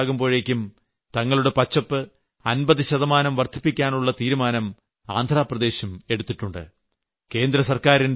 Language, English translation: Malayalam, Andhra Pradesh, too has decided to increase its green cover by 50% by the year 2029